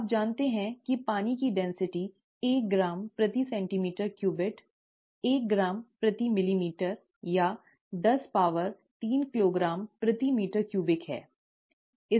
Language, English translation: Hindi, You know that the density of water is one gram per centimeter cubed, one, one gram per ml, or ten power three kilogram per meter cubed, okay